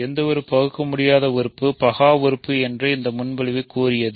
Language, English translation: Tamil, The proposition claimed that any irreducible element is prime